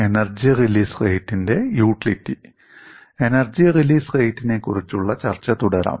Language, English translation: Malayalam, Let us continue our discussion on Energy Release Rate